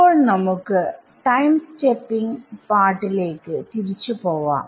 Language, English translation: Malayalam, Now, we let us go back to the time stepping part right